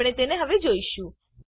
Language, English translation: Gujarati, We will see them now